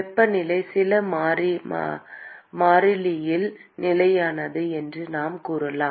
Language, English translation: Tamil, We can say that the temperature is fixed at some constant